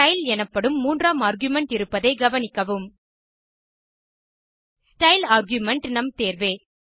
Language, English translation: Tamil, Notice that there is a third argument called style